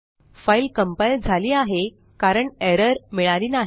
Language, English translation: Marathi, The file is successfully compiled as we see no errors